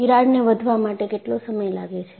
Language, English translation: Gujarati, How long the crack will take to grow